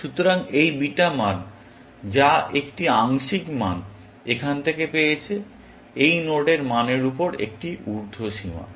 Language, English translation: Bengali, So, this beta value, which is the partial value, it has got from here, is an upper bound on the value of this node